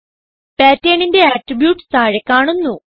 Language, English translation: Malayalam, Attributes of Pattern appear below